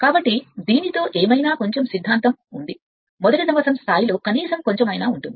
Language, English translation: Telugu, So, with this with this whatever little bit is theory is there at least at least a first year level whatever little bit is there